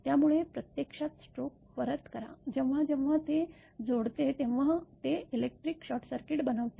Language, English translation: Marathi, So, return stoke actually; whenever it connects it makes an electric short circuit